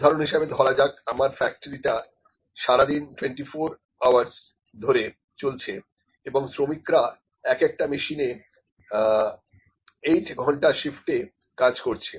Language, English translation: Bengali, For instance, if my factory is running for the whole day around for 24 hours and the workers were working on one machine and 8 hour shift is there